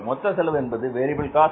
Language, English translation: Tamil, Variable cost is how much